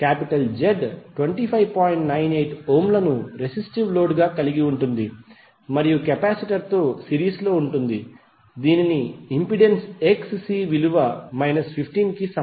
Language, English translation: Telugu, 98 ohm as a resistive load and in series with capacitor whose impedance is Xc that is equal to minus 15